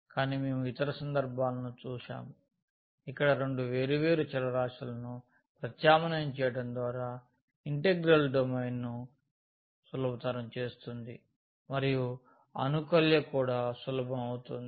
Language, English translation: Telugu, But we have seen the other cases as well where by substituting two different variables makes the domain of the integral easier and also the integrand easier